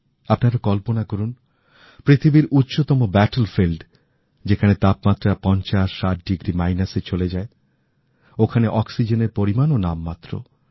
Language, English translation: Bengali, Just imagine the highest battlefield in the world, where the temperature drops from zero to 5060 degrees minus